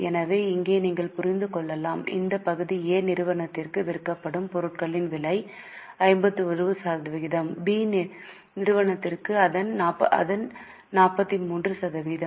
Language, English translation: Tamil, So, you can understand see here this part is cost of goods sold for company A is 51% for company B is 43%